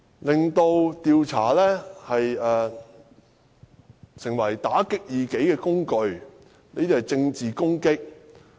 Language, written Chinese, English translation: Cantonese, 令調查成為打擊異己的工具，這些是政治攻擊......, They want to turn the inquiry into a political tool to suppress opposing forces . These are all political attacks